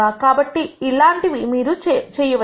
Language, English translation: Telugu, So, that is also something that you could do